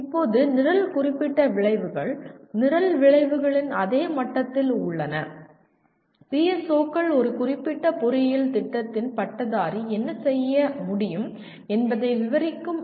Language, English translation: Tamil, Now, coming to the next one, the program specific outcomes which we consider are at the same level as program outcomes, PSOs are statements that describe what the graduate of a specific engineering program should be able to do